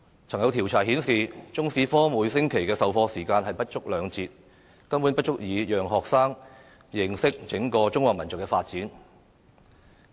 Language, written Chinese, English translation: Cantonese, 曾經有調查顯示，中史科每星期授課時間不足兩節，根本不足以讓學生認識整個中華民族的發展。, As indicated in a survey there are less than two lesson hours per week for Chinese History consequently students can hardly understand the development of the entire Chinese nation